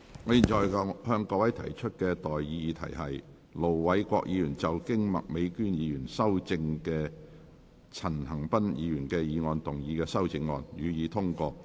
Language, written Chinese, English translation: Cantonese, 我現在向各位提出的待議議題是：盧偉國議員就經麥美娟議員修正的陳恒鑌議員議案動議的修正案，予以通過。, I now propose the question to you and that is That Ir Dr LO Wai - kwoks amendment to Mr CHAN Han - pans motion as amended by Ms Alice MAK be passed